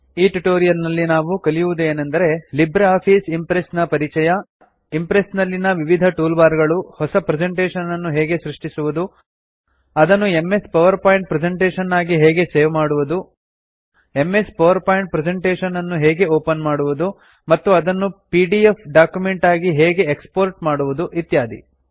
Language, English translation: Kannada, This brings us to the end of this tutorial on LibreOffice Impress To summarize, we learn Introduction to LibreOffice Impress Various Toolbars in Impress How to create a new presentation How to save as MS PowerPoint presentation How to open an MS PowerPoint presentation and How to export as a PDF document in Impress Try this comprehensive assignment